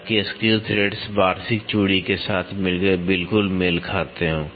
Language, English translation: Hindi, So, that the screw threads exactly mate with the annual threads